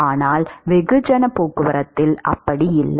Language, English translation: Tamil, That is not the case when it comes to mass transport